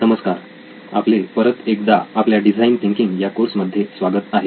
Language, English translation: Marathi, Hello and welcome back to the design thinking course that we have